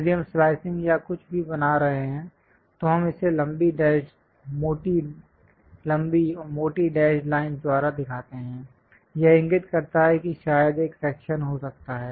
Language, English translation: Hindi, If we are making something like a slicing or whatever, we show it by long dashed thick, long and thick dashed lines; that indicates a perhaps there might be a section